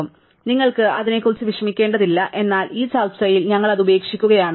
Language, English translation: Malayalam, So, you do not have worry about it, but in this discussion we just leave it out